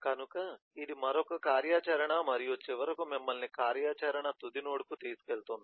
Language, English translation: Telugu, so that is another activity and which will finally take you to the activity final node